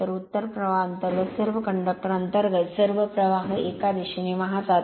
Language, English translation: Marathi, So, all the currents in under your all the conductors under the North Pole flowing in one direction right